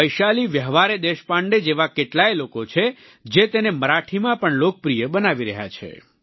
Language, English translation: Gujarati, People like Vaishali Vyawahare Deshpande are making this form popular in Marathi